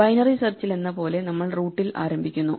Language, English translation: Malayalam, Like in binary search we start at the root